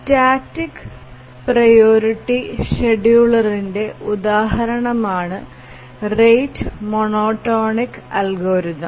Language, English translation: Malayalam, The rate monotonic algorithm is an example of a static priority scheduler